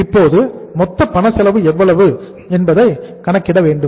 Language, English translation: Tamil, So total, we will have to calculate how much is the cash cost now